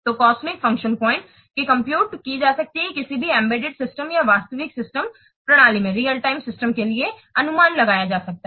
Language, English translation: Hindi, So in this way the cosmic function points can be calculated in this way the cosmic function points can be computed, can be estimated for any embedded system or real time system